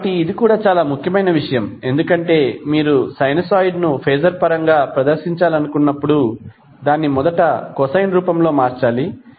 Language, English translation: Telugu, So, this is also very important point because whenever you want to present phaser in present sinusoid in phaser terms, it has to be first converted into cosine form